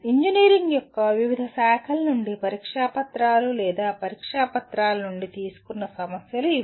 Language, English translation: Telugu, These are the types of problems that taken from the examination papers or test papers from various branches of engineering